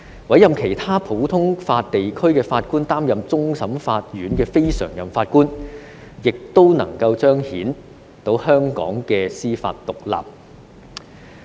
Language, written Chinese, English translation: Cantonese, 委任其他普通法地區的法官擔任終審法院非常任法官，方能夠彰顯香港的司法獨立。, The appointment of judges from other common law jurisdictions as non - permanent judges of CFA can manifest the judicial independence of Hong Kong